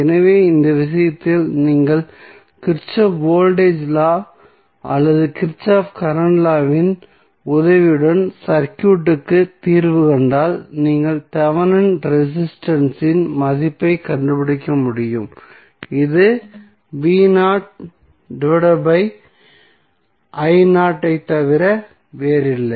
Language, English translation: Tamil, So, in that case if you solve the circuit with the help of either Kirchhoff Voltage Law or Kirchhoff Current Law you will be able to find out the value of Thevenin resistance which would be nothing but v naught divided by I naught